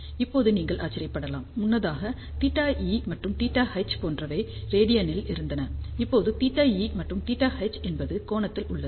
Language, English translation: Tamil, Now, you might wonder earlier we had theta E and theta H in radian here theta E and theta H are in degree